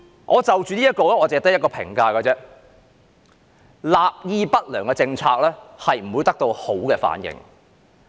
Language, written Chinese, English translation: Cantonese, 我對這項措施只有一個評價：立意不良的政策不會得到良好反應。, My only comment on this initiative is An ill - intentioned policy will not be well received